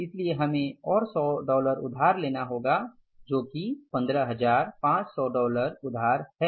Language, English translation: Hindi, So we'll have to borrow by 100 more dollars that is $15,500 borings, right